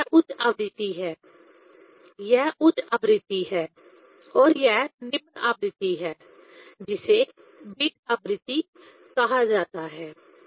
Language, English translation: Hindi, So, this is the higher frequency; this is the higher frequency and this is the lower frequency called beat frequency